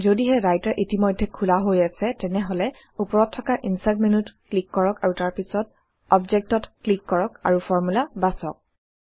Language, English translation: Assamese, If Writer is already open, then click on the Insert menu at the top and then click on Object and choose Formula